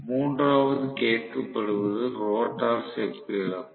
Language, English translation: Tamil, The third 1 that is being asked is rotor copper loss